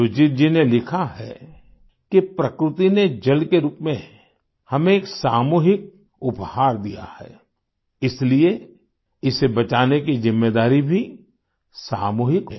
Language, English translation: Hindi, Sujit ji has written that Nature has bestowed upon us a collective gift in the form of Water; hence the responsibility of saving it is also collective